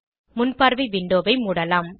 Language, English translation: Tamil, Lets close the preview window